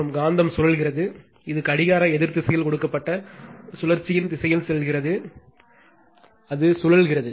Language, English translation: Tamil, And magnet is rotating, it goes direction of the rotation given anti clockwise direction, it is rotating